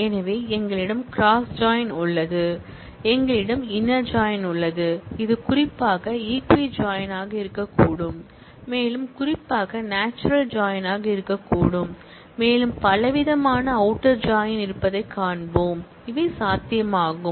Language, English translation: Tamil, So, we have cross join, we have inner join, which specifically could be equi join and even more specifically natural join and we will see there are variety of outer join, that are possible